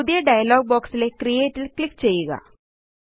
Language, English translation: Malayalam, In the new dialog box click on Create